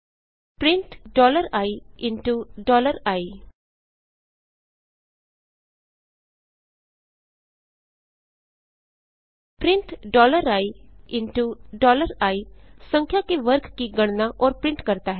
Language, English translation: Hindi, print $i*$i print $i*$i calculates and prints square of a number